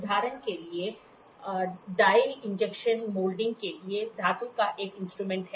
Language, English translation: Hindi, For example, dye is a tool for metal for injection molding